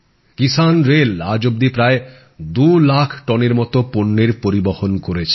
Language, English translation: Bengali, The Kisan Rail has so far transported nearly 2 lakh tonnes of produce